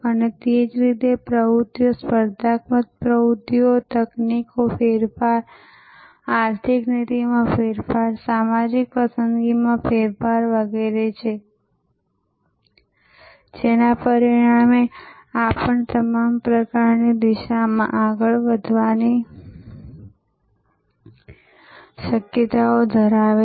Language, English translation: Gujarati, And similarly, there are activities, competitive activities, technology changes, economic policy changes, social preference changes and so on, as a result of which this also has possibilities of moving in all kinds of directions